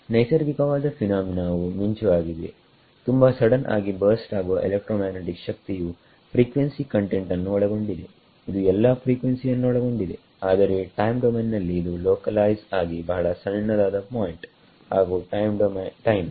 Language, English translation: Kannada, Natural phenomena lightning right very sudden burst of electromagnetic energy in terms of frequency content it will be all frequencies, but in time domain is localized a very small point and time